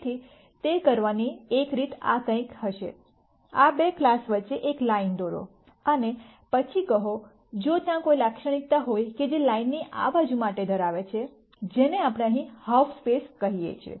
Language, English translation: Gujarati, So, one way to do that would be something like this; draw a line between these two classes and then say, if there is some characteristic that holds for this side of the line, which is what we called as a half space here